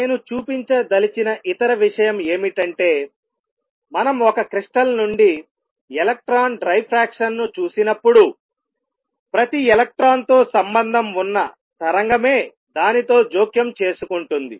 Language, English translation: Telugu, Other thing which I wish to point out is that when we looked at electron diffraction from a crystal it is the wave associated with each electron that interferes with itself